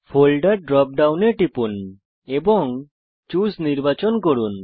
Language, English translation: Bengali, Click on the Folder drop down and select Choose